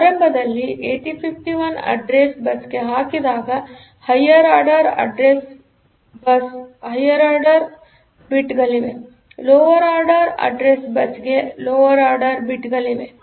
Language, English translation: Kannada, So, in the initially when 8051 puts the address onto the address bus; the higher order address bus contains the higher order bits, lower order address bus contains the bits A 0 to A 7